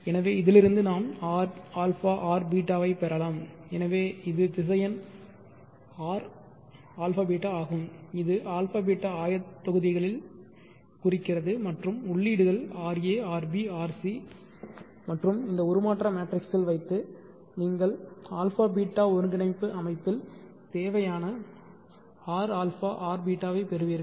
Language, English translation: Tamil, So this is our transformation so from this we see that we can get our abeeta so this is the vector R alpha beta which is representing the alpha beta coordinates and the inputs are RA RB RC and pass it through this transformation matrix you will get R a R beeta in the abeeta coordinate system so this is ABC 2 abeeta transformation